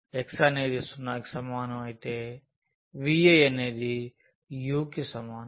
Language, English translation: Telugu, x is equal to 0 implies v is equal to u